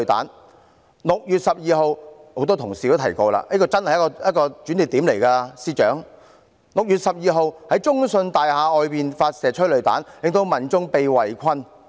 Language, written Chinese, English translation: Cantonese, 很多同事也提及6月12日——司長，這一天真是一個轉捩點 ——6 月12日在中信大廈外發射催淚彈，令民眾被圍困。, Many Honourable colleagues mentioned 12 June―Secretary that day was really a turning point―on 12 June tear gas rounds were fired outside CITIC Tower and some members of the public were trapped as a result